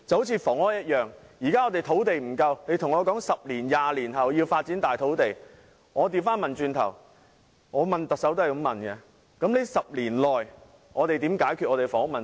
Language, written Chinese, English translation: Cantonese, 正如房屋一樣，現時香港的土地不足，如告訴我10年、20年後要發展土地，我便會倒過來問特首，那麼在這10年內我們如何解決香港的房屋問題？, It is the same case for the housing issue . In face of the shortage of land in Hong Kong if I was told that land would be developed in 10 years or 20 years I would then ask the Chief Executive how about the housing problem in the coming 10 years?